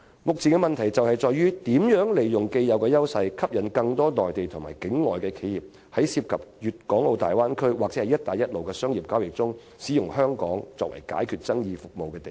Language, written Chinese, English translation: Cantonese, 目前的問題在於香港如何利用既有優勢，吸引更多內地和境外企業在涉及大灣區或"一帶一路"的商業交易中，利用香港作為解決爭議的地方。, The question at stake is how Hong Kong should capitalize on its long - standing advantages to induce more Mainland and overseas enterprises to use Hong Kong as a venue for resolving commercial transaction disputes involving the Bay Area or the One Belt One Road